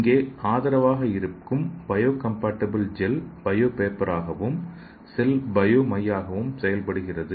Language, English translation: Tamil, So here the supporting biocompatible gel is the bio paper and your cell is the bio ink